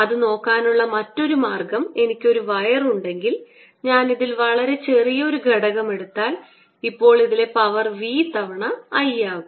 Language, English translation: Malayalam, another way to look at it is: if i have a wire and if i take a very small element in this, then the power in this is going to be v times i